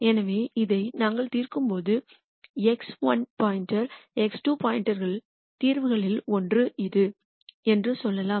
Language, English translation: Tamil, So, when we solve this and get let us say one of the solutions x 1 star x 2 star is this here